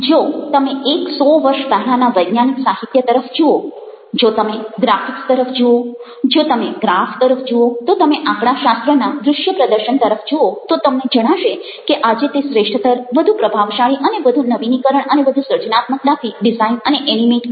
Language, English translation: Gujarati, even if you are looking at scientific literature one and years back, and if you are looking at the graphics, if you looking at the graphs, if you looking at the visual display of statistics, you find that today is much superior, much more powerful, much more ah, much more innovatively and creatively designed, even animated